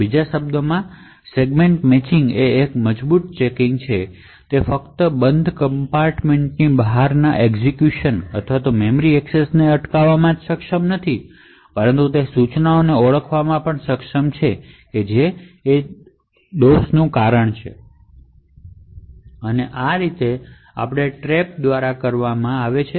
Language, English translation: Gujarati, In other words the Segment Matching is a strong checking, it is not only able to prevent execution or memory accesses outside the closed compartment that is defined but it is also able to identify the instruction which is causing the fault, so this is done via the trap